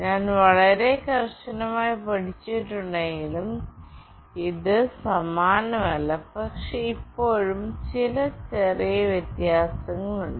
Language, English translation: Malayalam, It is not the same although I have held it very tightly, but still there are some small variations